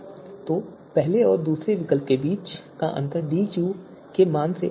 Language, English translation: Hindi, So this difference between first you know second alternative and first alternative is greater than the value of DQ